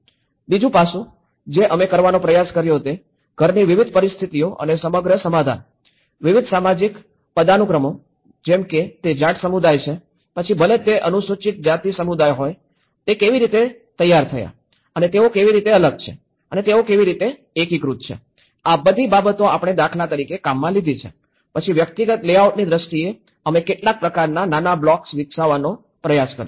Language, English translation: Gujarati, The second aspect, which we also tried to do was in that level he also mapped out for various conditions of the house and the whole settlement, various social hierarchies, like whether it is a Jat community, whether it is a scheduled caste community, you know that is how and how they are segregated and how they are integrated so, all these things we have worked for instance, then in terms of the individual layout, we tried to make some kind of small blocks